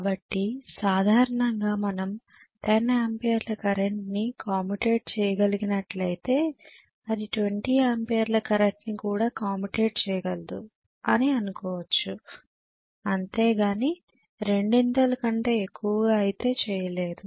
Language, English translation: Telugu, So normally if we it would be able to commutate the current of 10 amperes may be it will be able to commutate until 20 amperes, nothing more than the twice